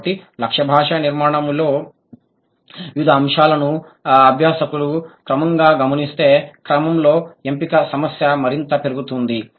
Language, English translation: Telugu, So selectivity issue boils down to the order in which various aspects of the target language structure are gradually observed by the learner